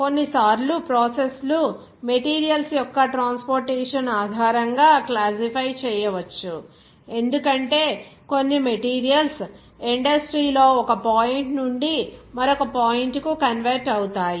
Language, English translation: Telugu, Sometimes the process can be classified based on the transportation of the material, as some materials will be convent from one point to another point in the industry